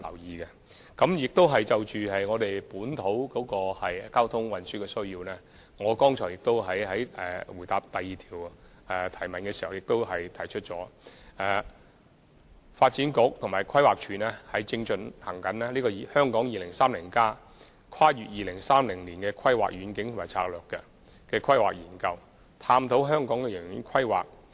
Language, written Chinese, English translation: Cantonese, 此外，就本土交通運輸需求而言，正如我剛才在第二項質詢的主體答覆已提到，發展局和規劃署正制訂《香港 2030+： 跨越2030年的規劃遠景與策略》，探討香港的長遠規劃。, Moreover regarding domestic transport needs as I said in my main reply to the second oral question Development Bureau and Planning Department are now conducting the Hong Kong 2030 Towards a Planning Vision and Strategy Transcending 2030 to look into the long - term planning of Hong Kong